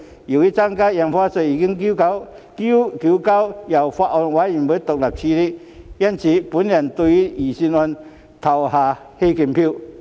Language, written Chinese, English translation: Cantonese, 由於增加印花稅已由法案委員會獨立處理，我會對預算案投棄權票。, Since the increase in Stamp Duty is independently handled by the Bills Committee I will abstain from voting on the Budget